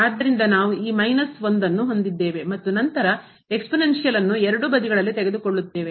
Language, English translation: Kannada, So, this will become 0 and then taking the exponential of both the sides